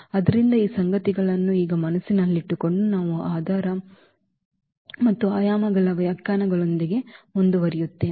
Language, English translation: Kannada, So, keeping these facts in mind now we will continue with the definitions of the basis and the dimensions